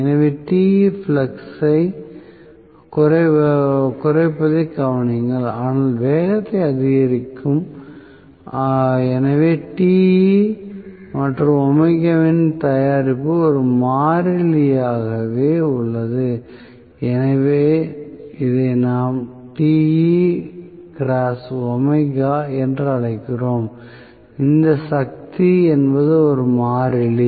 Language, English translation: Tamil, So, please note reduction in Te plus, but increase in speed so product of Te and omega remains as a constant, so, we call this as Te multiplied by omega which is power which is a constant